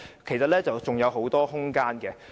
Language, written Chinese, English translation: Cantonese, 當中其實是有很大空間的。, There is much room for development in these places